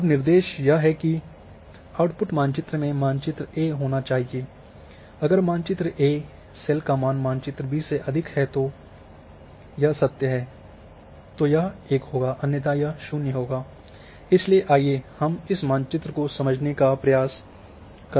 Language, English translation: Hindi, Now instruction is output map should have map A if map A cell value is greater than B then if it is true then give n 1 otherwise 0, so let us interpret this map